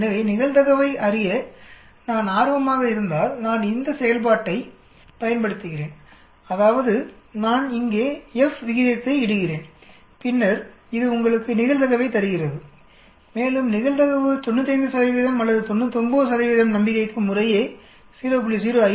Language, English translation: Tamil, So if I am interested in knowing the probability I use this function that means I put in the F ratio here, then it gives you the probability and you can see whether the probability is less than 0